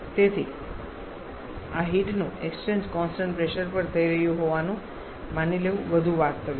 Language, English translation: Gujarati, So, it is more realistic to assume this heat exchange to be happening at constant pressure